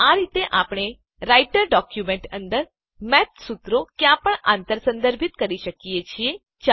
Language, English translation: Gujarati, So this is how we can cross reference Math formulae anywhere within the Writer document